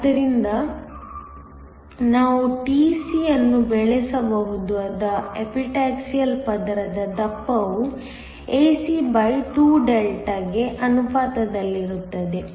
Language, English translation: Kannada, So, the thickness of the Epitaxial layer that we can grow tc is proportional to ae2∆